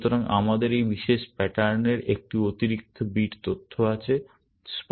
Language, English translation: Bengali, So, we have this extra bit of information in this particular pattern